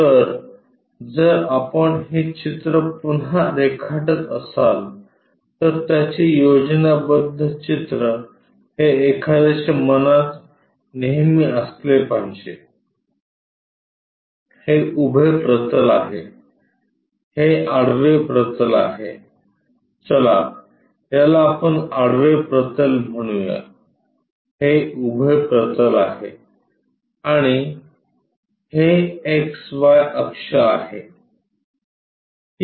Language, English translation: Marathi, So, if we are again drawing this picture, the schematic what one should have in mind always, this is the vertical plane, this is the horizontal plane, let us call horizontal plane, this is vertical plane and this is the x y axis